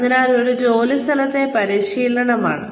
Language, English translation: Malayalam, So, it is, on the job training